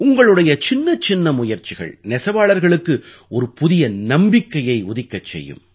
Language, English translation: Tamil, Even small efforts on your part will give rise to a new hope in weavers